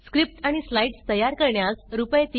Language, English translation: Marathi, 3,500 to create script and slides Rs